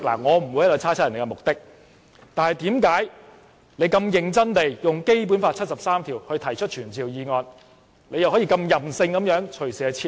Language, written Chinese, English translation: Cantonese, 我不會猜測別人的目的，但為何他認真地引用《基本法》第七十三條提出傳召議案後，又可以任性地隨時撤回？, I will not speculate on their motives but why did he seriously propose a summoning motion under Article 73 of the Basic Law and then arbitrarily withdrew it?